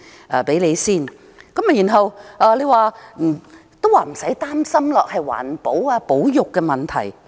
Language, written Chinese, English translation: Cantonese, 現在叫市民不用擔心，說這是環保和保育問題。, Now they are telling the people not to worry and that this has to do with environmental protection and conservation